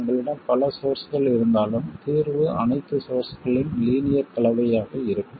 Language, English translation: Tamil, Even when you have multiple sources, the solution will be linear combination of all the sources